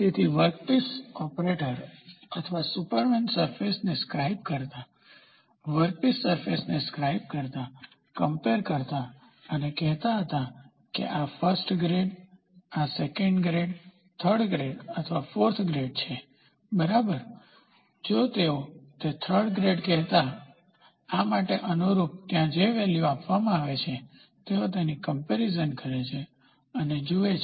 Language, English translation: Gujarati, So, the workshop operator or the superman used to scribe the surface, scribe the workpiece surface, compare and say this is equal to this first grade, second grade, third greater or fourth grade, they used to say third grade then, correspondingly for this there will be a value which is given, so then, they compare it and see